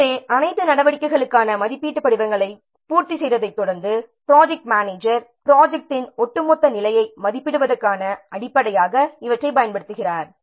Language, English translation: Tamil, So, following completion of assessment firms for all activities, the project manager uses these as a basis for evaluating the overall status of the project